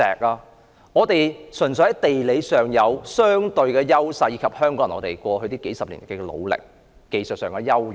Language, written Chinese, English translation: Cantonese, 香港人純粹擁有地理上的相對優勢，並憑藉過去數十年的努力，達致技術上的優勢。, Hong Kong people only enjoy a comparative geographical advantage and we have through decades of hard work developed our advantage in terms of technology